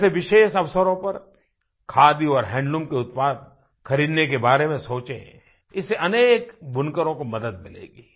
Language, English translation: Hindi, For example, think of purchasing Khadi and handloom products on special occasions; this will benefit many weavers